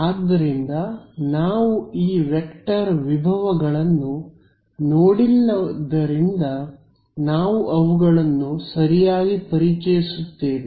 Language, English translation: Kannada, So, since we have not yet looked at these vector potentials we will introduce them ok